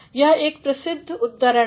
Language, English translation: Hindi, It is a famous quote